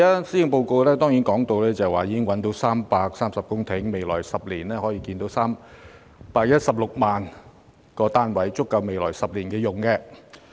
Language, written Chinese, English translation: Cantonese, 施政報告提到，政府已覓得330公頃土地，未來10年可興建 316,000 個公營房屋單位，足夠未來10年使用。, As stated in the Policy Address the Government has identified 330 hectares of land for the construction of 316 000 public housing units in the coming 10 years which will suffice in that period of time